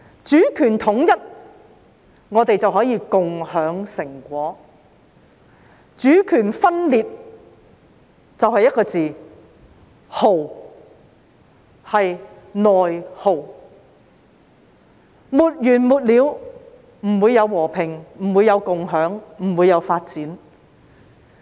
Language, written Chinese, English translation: Cantonese, 主權統一，我們便可以共享成果；主權分裂，便得一個"耗"字，即"內耗"；內耗沒完沒了，便不會有和平，不會有共享，不會有發展。, If sovereignty is unified we can share the fruits of success . If sovereignty is divided there will only be an endless internal war of attrition with no peace no sharing and no development in sight